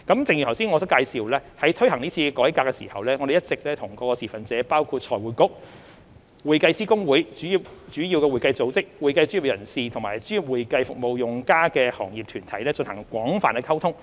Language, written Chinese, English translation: Cantonese, 正如我剛才所介紹，在推行是次改革時，政府一直與各持份者包括財匯局、會計師公會、主要會計組織、會計專業人士及專業會計服務用家的行業團體，進行廣泛溝通。, As I have expounded earlier in implementing this reform the Government has been communicating extensively with stakeholders including FRC HKICPA major accounting bodies accounting professionals and trade groups which are users of professional accounting services